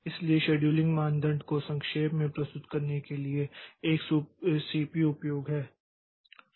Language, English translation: Hindi, So, to summarize the scheduling criteria, so one is the CPU utilization